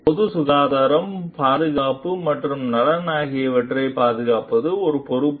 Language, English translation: Tamil, It is a responsibility to safeguard the public health, safety, and welfare